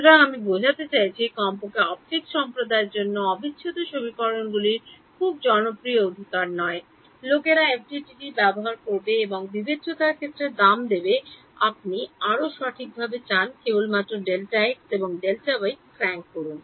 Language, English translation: Bengali, So, I mean integral equations at least in the optics community are not very popular right, people will do FDTD and pay the price in discretization you want more accurate just crank up delta x delta y